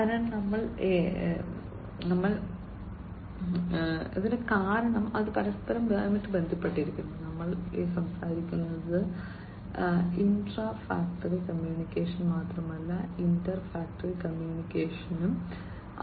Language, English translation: Malayalam, And so we here because it is interconnected, if you know we are talking about not only intra factory communication, but also inter factory communication